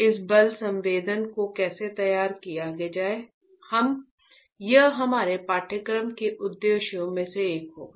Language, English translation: Hindi, How to fabricate this force sensor will be the objective, one of the objectives of our course alright